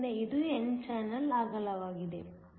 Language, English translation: Kannada, So, this is the width of the n channel